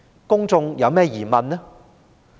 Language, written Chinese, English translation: Cantonese, 公眾有何疑問？, What kind of doubts do the public have?